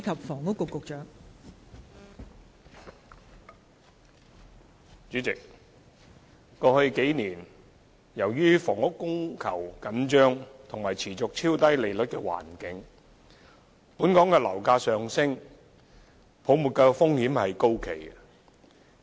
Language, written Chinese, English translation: Cantonese, 代理主席，過去數年，由於房屋供求緊張及持續超低利率的環境，本港樓價上升，泡沫風險高企。, Deputy President in the past few years due to tight housing demand - supply balance and the continued ultra - low interest rates environment local property prices have been on the rise with heightened risk of a bubble